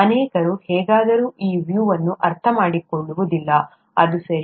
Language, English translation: Kannada, Many somehow don’t understand this view, that's okay